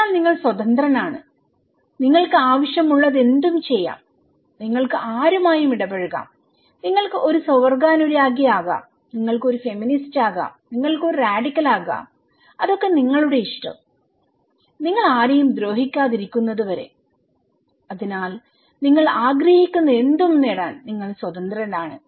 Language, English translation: Malayalam, So, you are free, you can do anything you want, you can interact with anyone, you want you can be a homosexual, you can be a feminist, you can be a radical that is up to you unless and until you are harming anyone so, you were open; you were open to achieve anything you want